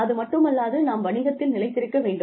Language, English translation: Tamil, After all, we have to stay in business